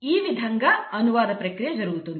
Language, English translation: Telugu, So that is the process of translation